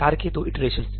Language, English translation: Hindi, Two instances of the task